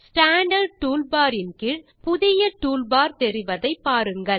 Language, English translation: Tamil, Notice a new toolbar just below the Standard toolbar